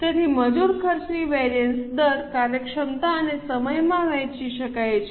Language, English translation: Gujarati, So, labour cost variance can be divided into rate, efficiency and time